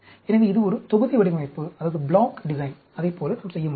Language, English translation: Tamil, So, this is a block design, like that we can do